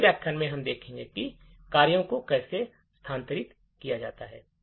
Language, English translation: Hindi, In the next lecture we will see how functions are made relocatable